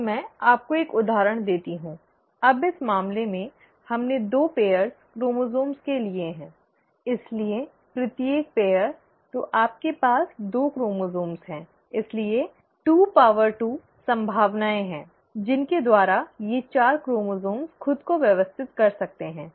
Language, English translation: Hindi, Now let me give this to you with an example, now in this case, we have taken two pairs of chromosomes; so, each pair of, so you have two chromosomes, so there are 22 possibilities by which these four chromosomes can arrange themselves